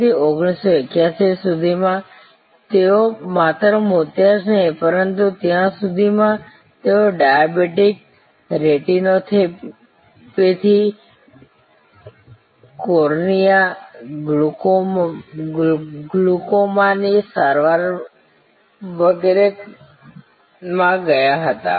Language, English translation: Gujarati, So, by 1981 they had created number of different not only cataract, but by that time, they had gone into diabetic, retinopathy, they had gone into cornea, glaucoma treatment and so on